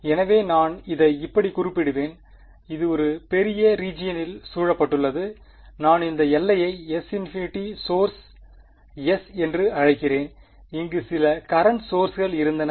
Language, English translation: Tamil, So, I will indicate it like this and this was surrounded in a bigger region I call this boundary S infinity the source S and there was some current source over here J